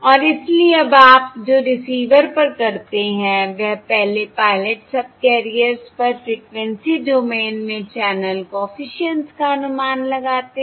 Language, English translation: Hindi, And therefore what you do now at the receiver is basically first estimate the channel coefficients in the frequency domain on the pilot subcarriers